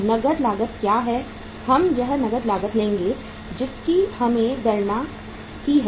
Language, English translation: Hindi, here we will take the cash cost which we have calculated